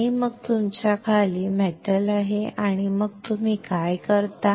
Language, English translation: Marathi, And then you have metal below it and then what you do